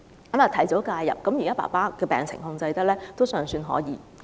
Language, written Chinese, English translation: Cantonese, 由於及早介入，現時在控制病情方面還算可以。, The early intervention has put his condition under control